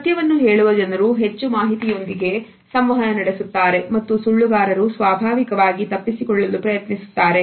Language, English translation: Kannada, People who are telling the truth tend to be more forth coming with information then liars who are naturally evasive